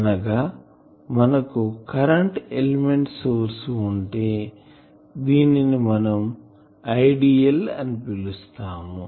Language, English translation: Telugu, So that means, if we have this current element source this is our source I